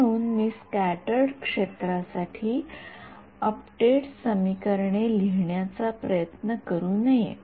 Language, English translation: Marathi, So, I should not be trying to write update equations for scattered field